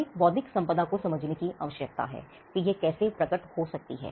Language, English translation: Hindi, Now, if we need to understand intellectual property how it can manifest